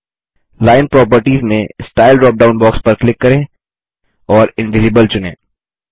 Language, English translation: Hindi, In Line properties, click on the Style drop down box and select Invisible